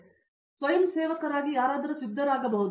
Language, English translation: Kannada, So, anyone who is willing to volunteer can get started